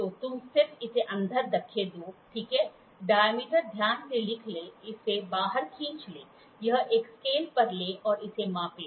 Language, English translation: Hindi, So, you just push it inside, right, note down the diameter pull it out, take it to a scale, measure it